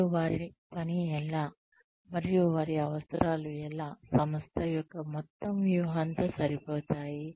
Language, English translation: Telugu, And, how does their work, and how do their needs, fit in with the, overall strategy of the organization